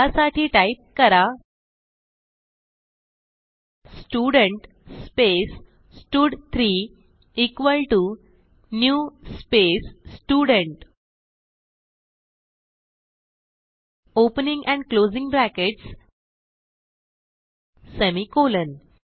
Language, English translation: Marathi, So type next lineStudent space stud2 equal to new space Student , opening and closing brackets semicolon